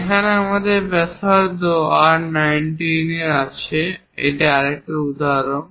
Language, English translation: Bengali, Here another example we have again radius R19